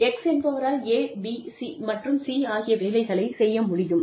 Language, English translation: Tamil, X will do, A, B, and C